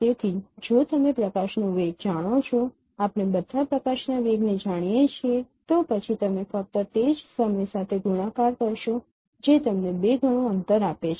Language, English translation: Gujarati, So if you know the velocity of light, we know all, we all of you know the velocity of light, then simply you multiply with that time that would give you the twice of the distances